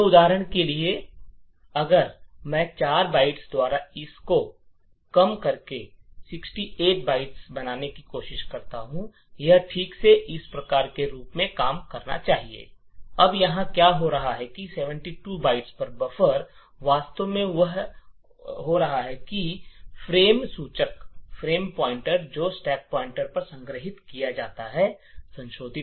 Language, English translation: Hindi, So for example if I use reduced this by 4 bytes and make it 68, this should work properly as follows, now what is happening here is that at 72 bytes the buffer is actually overflowing and modifying the frame pointer which is stored onto the stack, this is the smallest length of the string which would modify the frame pointer